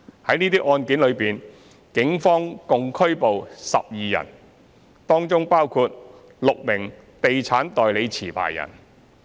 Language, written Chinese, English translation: Cantonese, 在這些案件中，警方共拘捕12人，當中包括6名地產代理持牌人。, The Police has arrested 12 persons in relation to these cases including six holders of estate agent licences